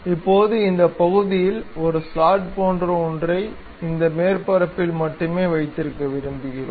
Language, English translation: Tamil, Now, we would like to have something like a slot on this portion, on this surface only